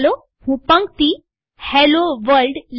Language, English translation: Gujarati, Let me type the text Hello world